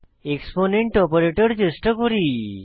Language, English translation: Bengali, Now lets try the exponent operator